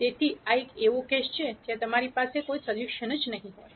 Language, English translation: Gujarati, So, this is a case where you will not have any solution